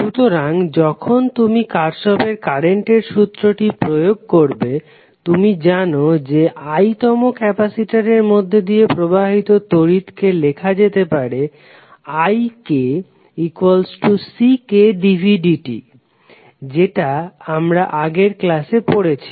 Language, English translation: Bengali, So when you apply Kirchhoff current law, you know that the current flowing in the ith capacitor can be written as ik is equal to ck dv by dt